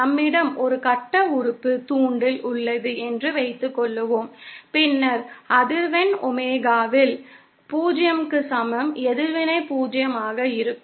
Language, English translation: Tamil, Suppose we have a lump element inductor, then at Frequency Omega is equal to 0, the reactance will be 0